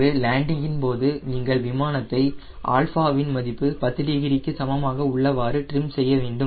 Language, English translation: Tamil, and during landing you want to trim the aero plane, trim the aircraft at alpha equal to ten degrees